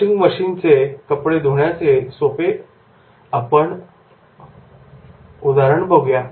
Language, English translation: Marathi, A simple example of the washing machine